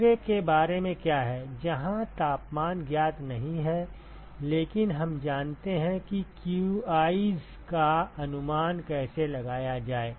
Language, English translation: Hindi, What about the second one where if temperatures are not known, but we know how to estimate the qi’s